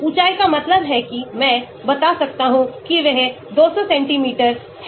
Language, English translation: Hindi, say height means I can tell he is 200 centimeters